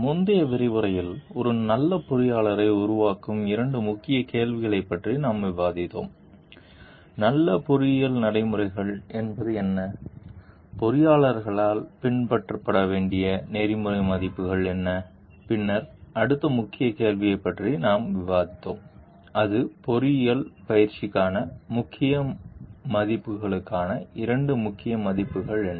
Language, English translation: Tamil, In the earlier module we have discussed about two key questions that is what makes a good engineer and what are the good engineering practices, what are the ethical values to be followed by engineers and then we have discussed about the next key question like what are the two important values for key values for engineering practice